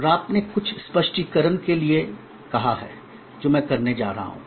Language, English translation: Hindi, And some of you have asked for some clarification and I am going to provide that as well